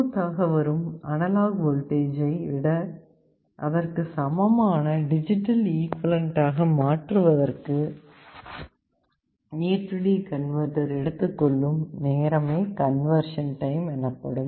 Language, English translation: Tamil, Conversion time is how much time it takes for the A/D converter to convert a given input analog voltage into the digital equivalent